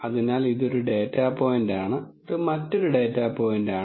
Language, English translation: Malayalam, So, this is one data point this is another data points on